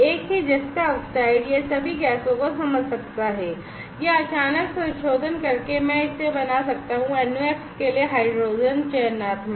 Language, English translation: Hindi, The same zinc oxide it can sense all the gases or by sudden modification, I can make it, selective for hydrogen selective for NOx